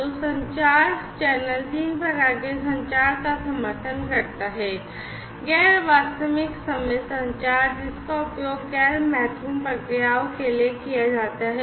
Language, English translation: Hindi, So, the communication channel supports three types of communication, non real time communication, which is used for non time critical processes